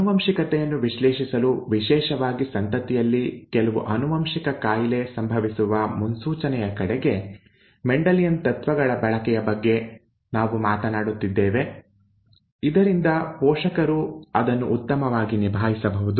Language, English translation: Kannada, We have been talking about the use of Mendelian principles to analyse inheritance especially toward prediction of the occurrence of a of some inherited disease in an offspring, so that the parents would be able to handle it better